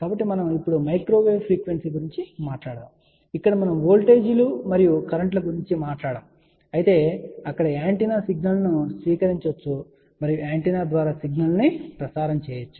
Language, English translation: Telugu, So, we are talking about now microwave frequency, where we do not talk about voltages and currents whereas, there we call let us say an antenna which will receive the signal and through the antenna we can transmit the signal